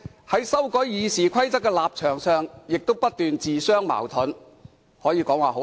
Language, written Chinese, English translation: Cantonese, 在修改《議事規則》一事上，反對派的立場亦經常自相矛盾，可謂醜態百出。, On the matter of amending RoP Members of the opposition camp were often inconsistent with their stances . It can be said that they made fools of themselves